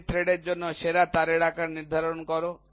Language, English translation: Bengali, Determine the size of the best wire for metric threads